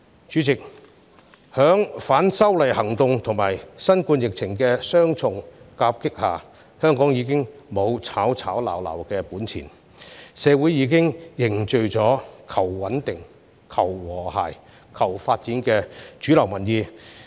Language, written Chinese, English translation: Cantonese, 主席，在反修例運動和新冠疫情的雙重夾擊下，香港已經沒有吵吵鬧鬧的本錢，社會已經凝聚了求穩定、求和諧、求發展的主流民意。, President after being dealt double blows by acts against the proposed legislative amendments and the novel coronavirus epidemic Hong Kong can no longer afford incessant quarrelling and squabbling . The mainstream public view in society is to seek stability harmony and development